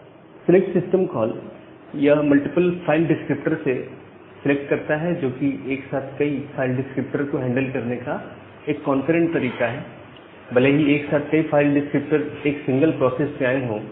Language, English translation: Hindi, So the select system call, it selects from multiple file descriptor, which is a concurrent way to handle multiple file descriptor simultaneously even from a single process